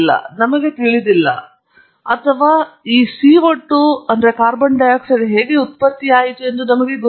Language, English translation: Kannada, I do not know or we do not know how this CO 2 was generated